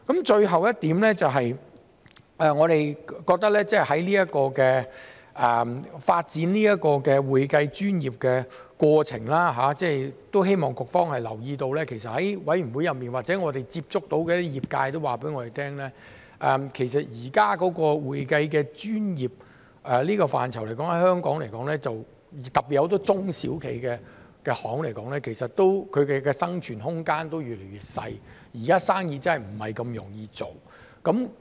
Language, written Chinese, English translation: Cantonese, 最後一點，我們覺得在發展會計專業的過程中，都希望局方留意到，其實在法案委員會裏或我們接觸到的業界都告訴我們，其實現時會計專業這個範疇在香港來說，特別對很多中小企來說，生存空間都越來越小，現時生意真的不容易做。, Last but not least we hope that in the process of developing the accounting profession the Bureau will take note of the fact that as we have been told at the Bills Committee or by the industry the room for survival of Hong Kongs accounting profession especially small and medium enterprises SMEs is getting smaller and it is not easy to do business nowadays